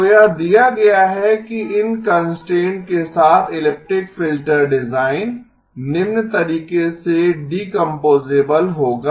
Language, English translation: Hindi, So given this the elliptic filter design with these constraints will be decomposable in the following way